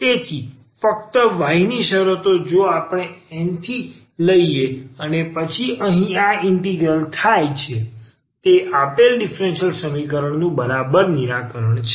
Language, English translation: Gujarati, So, only the terms of y if we take from N and then this integrate here that is exactly the solution of the given differential equation